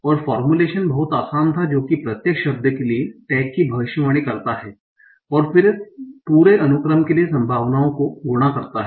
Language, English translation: Hindi, That is, you predict the tag for each word and then multiply the probabilities for the whole sequence